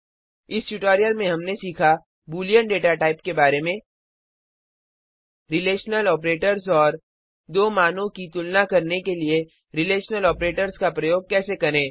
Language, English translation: Hindi, In this tutorial, we will learn about the the boolean data type Relational operators and how to compare data using Relational operators